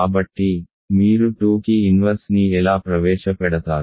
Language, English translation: Telugu, So, how do you introduce an inverse for 2